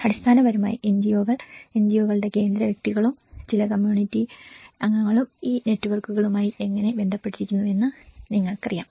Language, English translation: Malayalam, So basically the NGOs, how the central persons of the NGOs and as well as you know, some community members how they are also linked with these networks